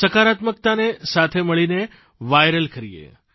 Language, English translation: Gujarati, Let's come together to make positivity viral